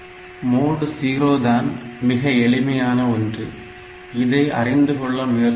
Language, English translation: Tamil, So, mode 0 is the simplest one; so, let us try to understand